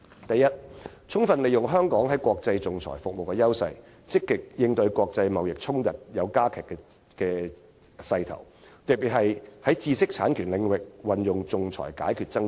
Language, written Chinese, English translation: Cantonese, 第一，充分利用香港在國際仲裁服務的優勢，積極應對國際貿易衝突的加劇勢頭，特別是在知識產權領域運用仲裁解決爭端。, First optimizing Hong Kongs advantages in international arbitration services to proactively cope with the trend of intensifying international trade disputes . In particular we should resort to arbitration as a means of resolving disputes in the intellectual property right domain